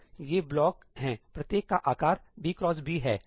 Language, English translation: Hindi, So, these are blocks, each is of size ëb cross bí